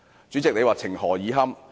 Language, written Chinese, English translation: Cantonese, 主席，這情何以堪？, President is this not pathetic?